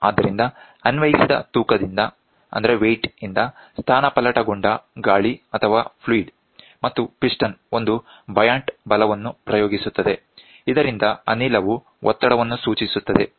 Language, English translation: Kannada, So, the air or a fluid displaced by the applied weight and the piston exerts a buoyant force, which causes the gas to indicate the pressure